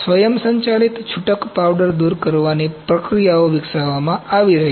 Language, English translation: Gujarati, Automated loose powder removal processes have been developed